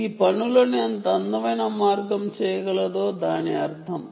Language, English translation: Telugu, what a beautiful way it can do things